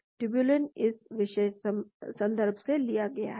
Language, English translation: Hindi, tubulin is taken from this particular reference